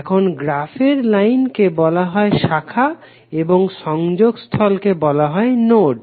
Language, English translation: Bengali, Now lines in the graph are called branches and junction will be called as node